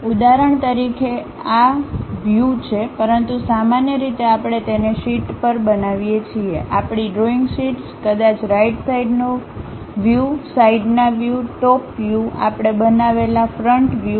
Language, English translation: Gujarati, For example here these are the views, but usually we construct it on sheet, our drawing sheets; perhaps right side views, left side views, top view, front view we construct